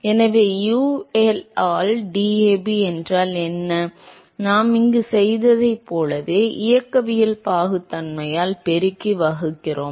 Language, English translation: Tamil, So, what is DAB by UL, so very similar to what we did here, we multiply and divide by the kinematic viscosity